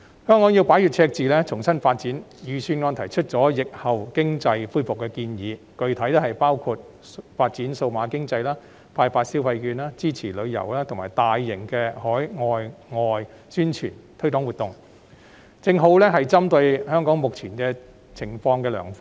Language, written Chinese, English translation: Cantonese, 香港要擺脫赤字，重新發展，故預算案便提出了有關疫後經濟恢復的建議，具體包括發展數碼經濟、發放消費券，以及支持旅遊及大型海內外宣傳推廣活動等，均屬針對香港目前情況的良方。, Hong Kong has to get rid of the deficit and set out afresh for development . Hence the Budget proposes to revive the economy in the aftermath of the pandemic and the specific proposals include developing digital economy issuing consumption vouchers and supporting tourism as well as large - scale publicity and promotional campaign both at home and abroad . All these are sound ideas targeting at Hong Kongs present situation